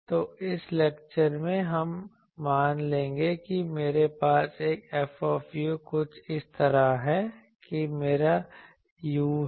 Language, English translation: Hindi, So, in this lecture, we will see suppose I have a F u something like this that this is my u